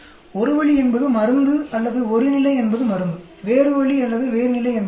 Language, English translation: Tamil, One way is the drug or one level is drug; other way or other level is the age